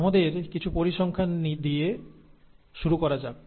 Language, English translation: Bengali, Let us start with some data